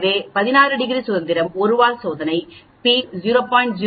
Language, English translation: Tamil, So, 16 degrees of freedom 1 tail test p is equal to 0